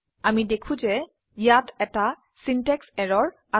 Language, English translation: Assamese, we see that, there is a syntax error